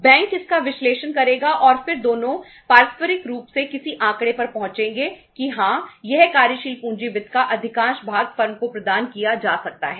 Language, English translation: Hindi, Bank will analyze it and then both will mutually means arrive at some figure that yes this much of the working capital finance can be provided to the firm